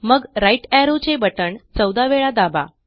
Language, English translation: Marathi, Then press the right arrow key about 14 times